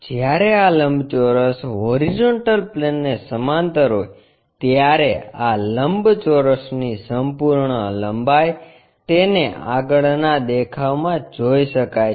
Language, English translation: Gujarati, When this rectangle is parallel to horizontal plane, the complete length of this rectangle one can visualize it in the front view